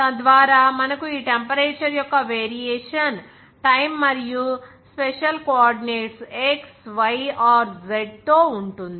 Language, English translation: Telugu, So that we can have this variation of this temperature with respect to time as well as special coordinates like x, y or z